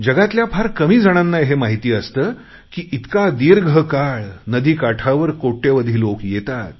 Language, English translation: Marathi, Very few know that since a long time, crores and crores of people have gathered on the riverbanks for this festival